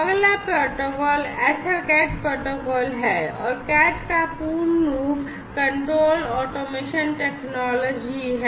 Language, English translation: Hindi, Next, protocol is the EtherCAT protocol and the full form of CAT is Control Automation Technology